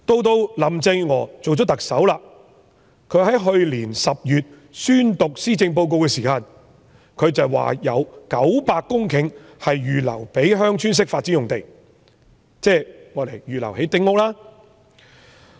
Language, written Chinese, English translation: Cantonese, 到林鄭月娥出任特首，去年10月宣讀施政報告時，她說有900公頃是預留作鄉村式發展，即預留作興建丁屋的用地。, After Carrie LAM became the Chief Executive and when she delivered the Policy Address in October last year she said that 900 hectares of land were reserved for Village Type Development ie